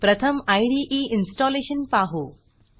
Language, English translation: Marathi, Let us first look at installing the IDE